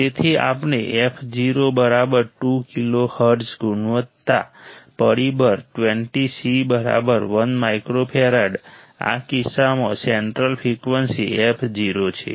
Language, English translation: Gujarati, So, we fo = 2 kilo hertz quality factor 20 c equals to 1 microfarad in this case central frequency f o